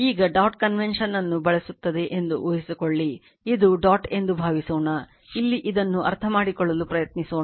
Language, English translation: Kannada, Now, question is suppose suppose this is your what you call will use dot convention, suppose this is this is dot is here right let us try to understand this